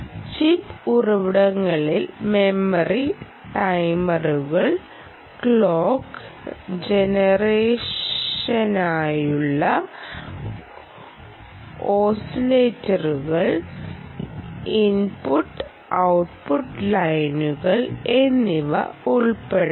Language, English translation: Malayalam, on chip resources could include memory timers, oscillators for clock generation and input output lines, input output pins essentially ok